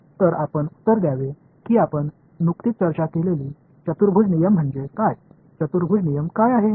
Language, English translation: Marathi, So, to answer that you should ask me what is a quadrature rule we just discussed, what is the quadrature rule